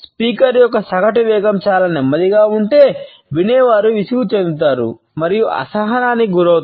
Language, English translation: Telugu, If the speaker’s average speed is very slow, the listener becomes bored and impatient